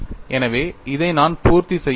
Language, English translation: Tamil, So, I have to satisfy this